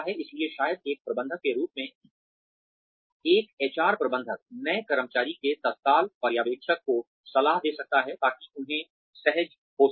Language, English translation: Hindi, So, maybe as a manager, an HR manager can advise, the immediate supervisor of the new employee, to help them become comfortable